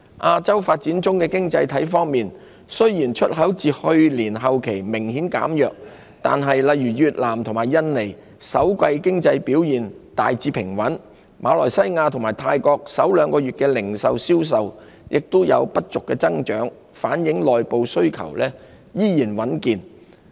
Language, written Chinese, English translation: Cantonese, 亞洲發展中的經濟體方面，雖然出口自去年後期明顯減弱，但例如越南和印尼，首季經濟表現大致平穩；馬來西亞和泰國首兩月的零售銷售也有不俗增長，反映內部需求仍然穩健。, In respect of the developing economies in Asia while exports have softened substantially since the latter part of last year economic performance of such countries as Vietnam and Indonesia has remained largely stable . Malaysia and Thailand both registered decent growth in retail sales in the first two months pointing to continued resilience in domestic demands